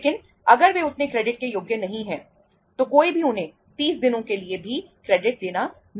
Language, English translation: Hindi, But if they are not that much credit worthy, nobody would like to give them even a credit for 30 days